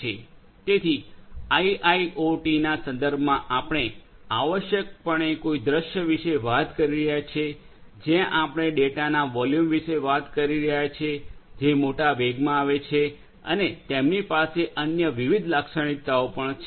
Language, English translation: Gujarati, So, in the context of IIoT we are essentially talking about a scenario, where we are talking about volumes of data that come in large velocities and they have different other characteristics as well